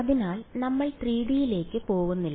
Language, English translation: Malayalam, So, we’re not going to 3D ok